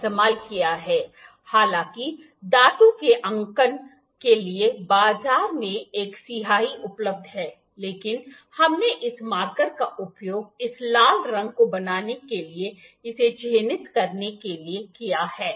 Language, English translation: Hindi, On that side what for marking we have used an ink; however, there are there is an ink available in the market for a metal marking, but we have just used this marker to mark it to produce this red colour